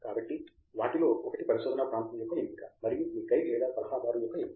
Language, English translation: Telugu, So, one of those things is selection of a research area and selection of your guide or advisor